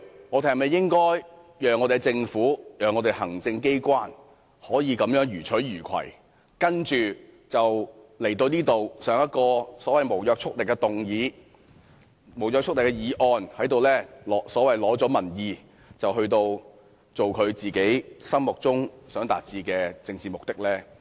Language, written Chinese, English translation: Cantonese, 立法會應否讓政府、行政機關這樣予取予求，然後向立法會提出所謂的無約束力議案，在這裏取得所謂的民意，接着做其心目中想達致的政治目的？, How can we allow the Government the executive to loot the Legislative Council like this? . How can we allow it to obtain any so - called public support and achieve its political aim by moving a non - legally binding motion?